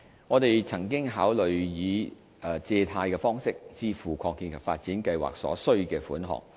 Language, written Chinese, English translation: Cantonese, 我們曾經考慮以借貸方式支付擴建及發展計劃所需的款額。, We have considered the option of raising debt to fund the expansion and development plan